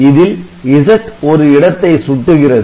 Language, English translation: Tamil, So, Z is another pointer